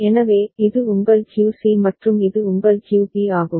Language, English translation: Tamil, So, this is your QC and this is your QB